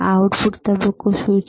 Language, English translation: Gujarati, What is the output phase